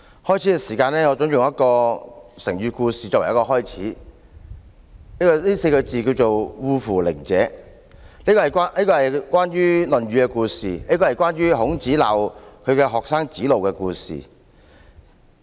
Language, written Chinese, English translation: Cantonese, 我準備用一個成語故事作為開始，這個四字成語是"惡夫佞者"，是一個《論語》中關於孔子責罵他的學生子路的故事。, I am going to start with the story of an idiom . This Chinese idiom which reads the wicked and glib - tongued people is a story in the Analects about Confucius scolding his student Zi Lu . In the story Zi Lu suggested that Zi Gao be an official of a small town